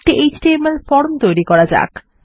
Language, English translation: Bengali, To start with Ill create an html form